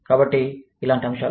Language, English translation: Telugu, So, stuff like this